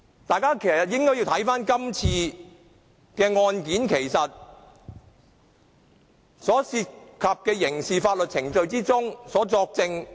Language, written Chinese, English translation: Cantonese, 大家應該看看今次的案件所涉及的，在刑事法律程序之中作證。, We should note that the case in question involves giving evidence in criminal proceedings